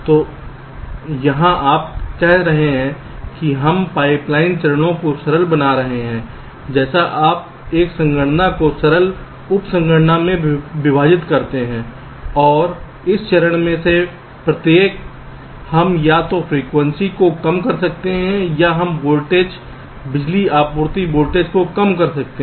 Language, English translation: Hindi, so here you are saying that we are making the pipe line stages simpler, just like you do divide a computation into simpler sub computation and each of this stages we can either reduce the frequency or we can reduce the voltage, power supply voltage